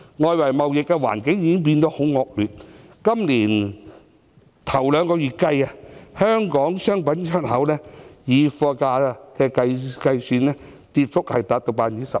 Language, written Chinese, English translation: Cantonese, 外圍貿易環境變得很惡劣，今年首兩個月，香港商品的出口，以貨價計算，跌幅達 12%。, The external trading environment has become very poor . In the first two months of this year export business of Hong Kong commodities have dropped by 12 % in terms of the price of goods